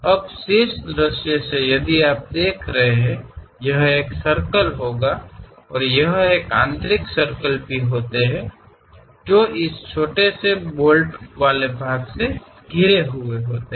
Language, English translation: Hindi, Now, from top view if you are looking at; it will be having a circle and there are inner circles also surrounded by this small bolted kind of portions